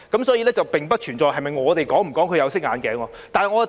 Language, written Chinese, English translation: Cantonese, 所以，並不存在我們是否戴"有色眼鏡"。, Hence there is no such question as to whether we look at them through tinted glasses